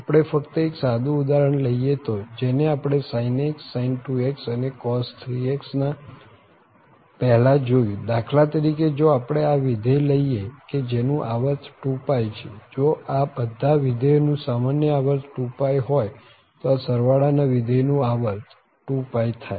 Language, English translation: Gujarati, Just a simple example if we take which we have just seen before sin x sin2x and cos3 x for instance if we take this function whose period is going to be 2 pi, if the common period of all these functions here is 2 pi, so the period of this function the sum function is 2 pi